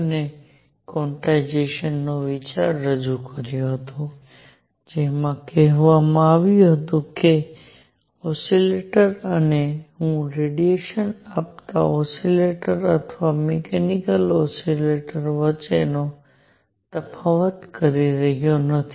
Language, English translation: Gujarati, And introduced the idea of quantization it said that an oscillator and I am not distinguishing between an oscillator giving out radiation or a mechanical oscillator